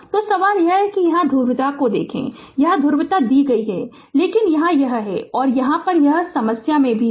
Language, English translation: Hindi, So, question is look at the polarity here polarity is given here it is minus, but here it is minus and here it is plus this is the this is there tricks in the problem